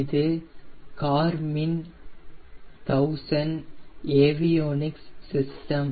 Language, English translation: Tamil, this is the garmin thousand avionics system